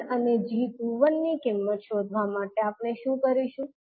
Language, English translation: Gujarati, Now, to find out the value of g11 and g21